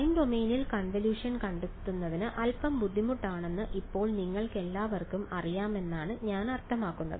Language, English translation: Malayalam, And I mean all of you will know by now that working in the time domain and a convolution is a little bit more painful